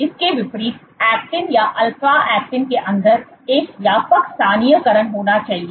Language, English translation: Hindi, In contrast actin or alpha actinin should have a broad localization deep inside